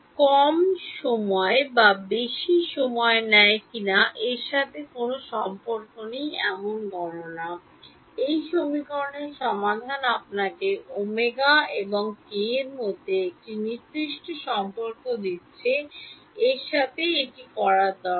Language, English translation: Bengali, Computation that has nothing to do with whether it takes less time or more time, it has to do with the fact that the solution to this equation is giving you a certain relation between omega and k